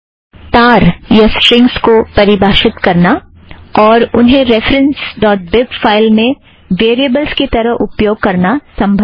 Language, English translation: Hindi, It is possible to define strings and use them as variables in the file ref.bib